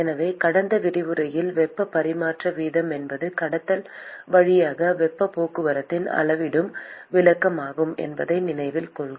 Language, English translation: Tamil, So, remember in the last lecture I mentioned that heat transfer rate is the quantifying description of the transport of heat via conduction